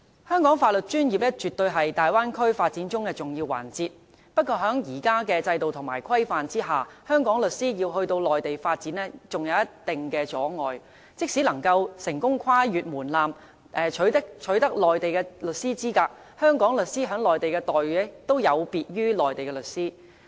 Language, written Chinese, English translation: Cantonese, 香港的法律專業服務，絕對是大灣區發展中的重要環節。不過，在現有的制度和規限下，香港律師要到內地發展，仍有一定阻礙，即使能夠成功跨過門檻，取得內地律師資格，香港律師在內地的待遇亦有別於內地律師。, Professional legal services in Hong Kong are definitely an important element of Bay Area development but legal practitioners in Hong Kong who wish to practise in the Mainland are still subject to considerable restrictions under the present system and regulation . Even if they successfully meet the threshold and obtain qualifications for practising in the Mainland their remunerations are still different from those for their Mainland counterparts